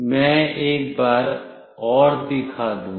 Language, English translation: Hindi, I will show once more